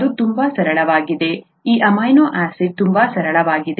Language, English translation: Kannada, ItÕs very simple; this amino acid is very simple